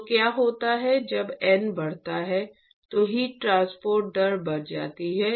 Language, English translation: Hindi, So, what happens when n increases is the heat transport rate increases